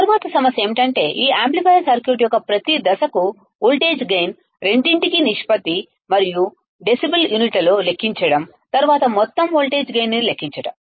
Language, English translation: Telugu, The next problem is to calculate the voltage gain for each stage of this amplifier circuit both has ratio and in units of decibel, then calculate the overall voltage gain